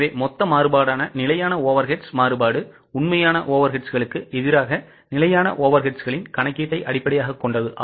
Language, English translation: Tamil, So, fixed overheads variance, that is the total variance, is based on the calculation of standard overades versus actual overates